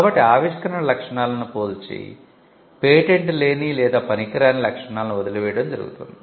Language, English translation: Telugu, So, that the search is done comparing the inventive features and leaving out the non patentable or the trivial features